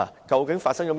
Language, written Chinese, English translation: Cantonese, 究竟發生了甚麼事？, What exactly had happened?